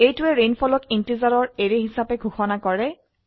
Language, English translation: Assamese, This declares rainfall as an array of integers